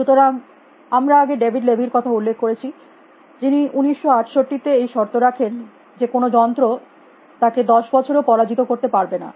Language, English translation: Bengali, And we are already mention David levy, who made this bet in 1968 that no machine can him in 10 years